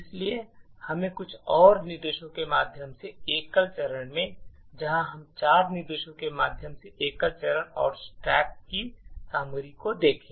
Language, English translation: Hindi, So, let us single step through a few more instructions let us say the single step through four instructions and look at the contents of the stack